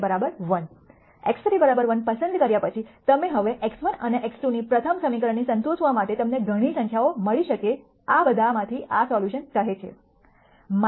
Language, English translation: Gujarati, Now x 1 and x 2 you could have found several numbers to satisfy the first equation after you choose x 3 equal to 1 of all of these this solution says this minus 0